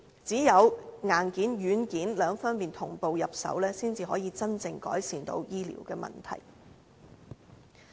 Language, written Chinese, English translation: Cantonese, 只有硬件、軟件兩方面同步入手，才能真正改善醫療的問題。, We can only genuinely improve the health care service by addressing the problem in connection with both the hardware and software